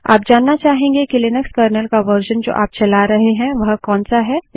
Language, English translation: Hindi, You may want to know what version of Linux Kernel you are running